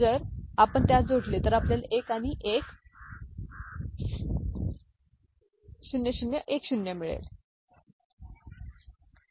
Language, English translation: Marathi, So, if you add them up, we get 1 and 0010, ok